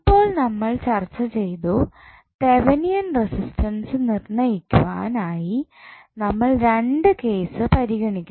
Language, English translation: Malayalam, Now, we also discussed that for calculation of Thevenin resistance we need to consider two cases, what was the first case